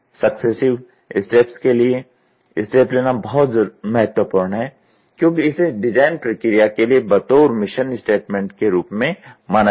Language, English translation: Hindi, The step is very important for successive steps, since it will be treated as the mission statement for the design process